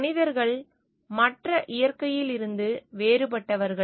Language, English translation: Tamil, Human beings are different from the rest of the nature